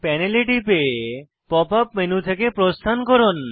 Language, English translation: Bengali, Click on the panel to exit the Pop up menu